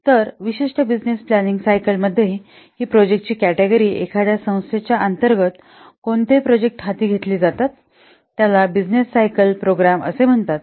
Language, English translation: Marathi, So, within a particular business planning cycle, what categories of projects, what groups of projects that and under time, an organization undertext that is known as a business cycle programs